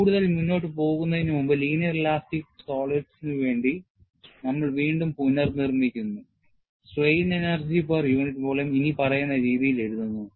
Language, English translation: Malayalam, And before we proceed further, we just recapitulate, for linear elastic solids, the strain energy per unit volume is expressed as follows